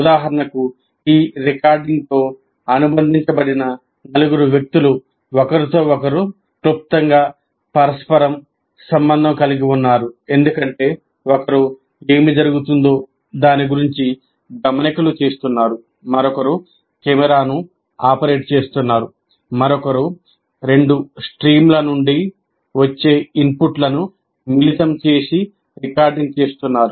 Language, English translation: Telugu, For example, the four people that are associated with this recording, they are briefly interrelated to each other because one is kind of making notes about what is happening, another one is operating the camera, the other one is combining the inputs that come from two streams and trying to record